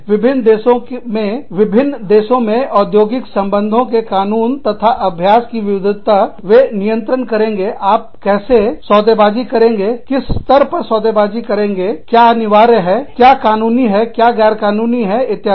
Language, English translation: Hindi, Diverse industrial relations laws and practices, in different countries, will govern, how you, they could govern, how you bargain, at what level you bargain, what is mandatory, what is legal, what is illegal, etcetera